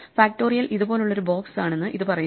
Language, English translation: Malayalam, This is saying that factorial is a box that looks like this